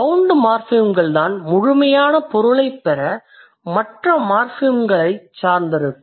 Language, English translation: Tamil, Bound morphemes are the ones which are dependent on other morphemes to get complete meaning